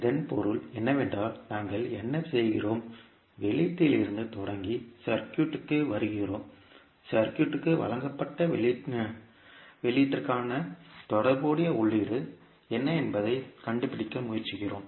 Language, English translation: Tamil, It means that what we are doing, we are starting from output and using the circuit we are trying to find out what would be the corresponding input for the output given to the circuit